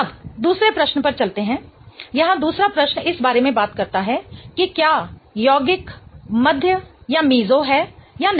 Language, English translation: Hindi, The second question here talks about whether the compound is meso or not